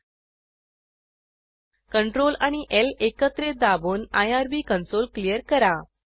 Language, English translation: Marathi, Press Crtl and L keys simultaneously to clear the irb console